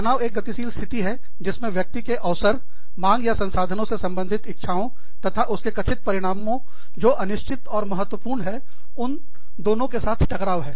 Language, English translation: Hindi, Stress is a dynamic condition, in which, an individual is confronted with, an opportunity, demand, or resource, related to, what the individual desires, and for which, the outcome is perceived to be, both uncertain and important